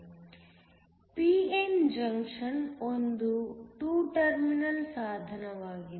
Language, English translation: Kannada, A p n junction is a 2 terminal device